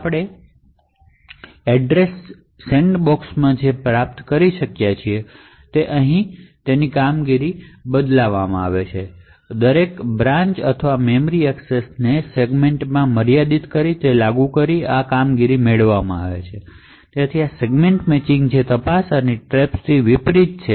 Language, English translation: Gujarati, So what we were able to achieve in Address Sandboxing is that we get a performance improvement so this performance is obtained by enforcing that every branch or memory access is restricted to that segment, so this is very much unlike the Segment Matching which checks and traps